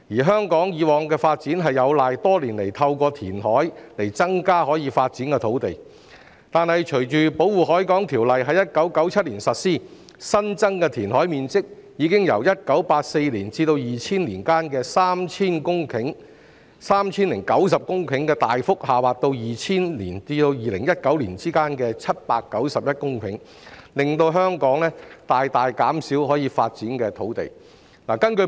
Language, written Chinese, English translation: Cantonese, 香港以往的發展有賴多年來透過填海增加可發展的土地，但隨着《保護海港條例》在1997年實施，新增的填海面積已經由1984年至2000年間的 3,090 公頃，大幅下滑到2000年至2019年的791公頃，令香港可發展的土地大大減少。, The development of Hong Kong in the past has relied on increasing the land available for development through reclamation over the years . Yet subsequent to the implementation of the Protection of the Harbour Ordinance in 1997 the additional area of land formed by reclamation has dropped considerably from 3 090 hectares between 1984 and 2000 to 791 hectares between 2000 and 2019 . The land available for development in Hong Kong has greatly reduced